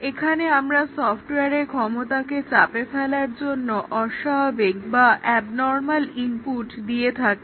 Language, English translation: Bengali, Here, we give abnormal inputs to stress the capability of the software